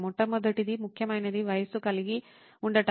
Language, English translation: Telugu, The first and foremost important one is to have an age